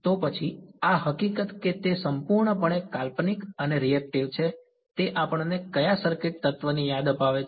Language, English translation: Gujarati, So, then this fact that it is purely imaginarily and reactive reminds us of which circuit element